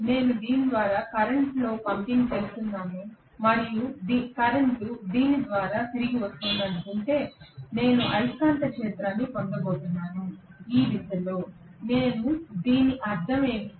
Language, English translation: Telugu, If I assume that I am pumping in the current through this and the current is returning through this whatever, I am going to get a magnetic field in this direction, what do I do mean by that